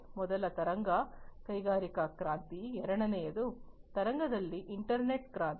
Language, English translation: Kannada, So, the first wave was the industrial revolution, in the second wave was the internet revolution